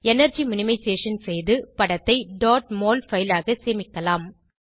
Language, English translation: Tamil, You can do energy minimization and save the image as dot mol file